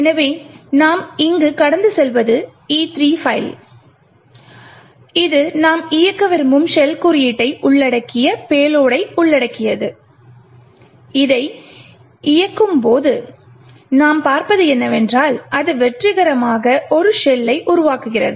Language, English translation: Tamil, So, what we are passing here is the file E3 which comprises of the payload comprising of the shell code that we want to execute and when we run this what we see is that it successfully creates a shell